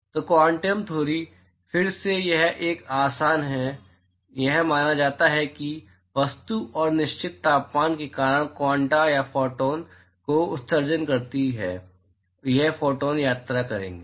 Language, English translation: Hindi, So, the quantum theory, again it is a postulation, it is believed that the object because of its certain temperature it emits quanta or photons and these photons will travel